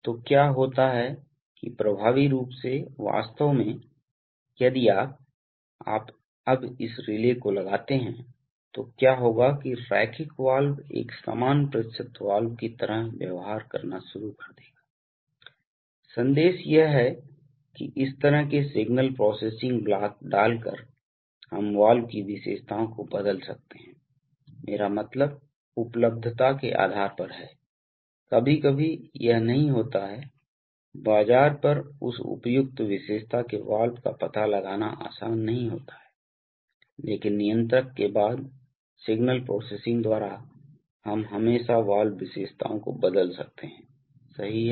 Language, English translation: Hindi, So what happens is that effectively, actually, so if you, if you put this relay now, then what will happen is that a linear valve will start behaving like an equal percentage valve, so what we, what is the message is that by putting such signal processing blocks, we can change the valve characteristics, I mean depending on the availability, sometimes it may not be, it may not be easy to locate a valve of that appropriate characteristic on the market but by signal processing after the controller, we can always change the valve characteristics right